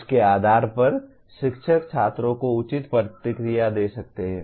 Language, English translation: Hindi, Based on that the teacher can give appropriate feedback to the students